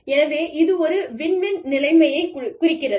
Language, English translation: Tamil, So, it refers to a, win win situation